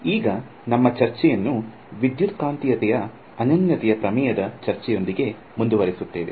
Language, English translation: Kannada, So, we will continue our discussion, now with the discussion of the Uniqueness Theorem in Electromagnetics